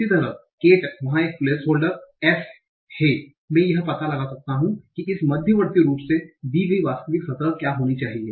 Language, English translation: Hindi, Similarly cat there is a placeholder and s I can find out what should be the actual surface form given this intermediate form